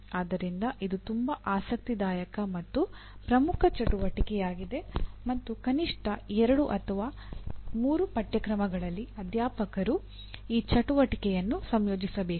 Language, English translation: Kannada, So this is a very interesting and important activity and at least in 2 or 3 courses the faculty should incorporate this activity